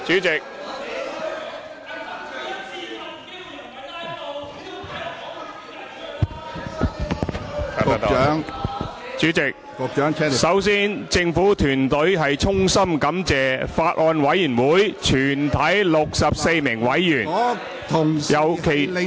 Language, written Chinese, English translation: Cantonese, 主席，首先政府團隊衷心感謝法案委員會全體64名委員，尤其......, First of all President the government team extends its heartfelt gratitude to all the 64 members of the Bills Committee particularly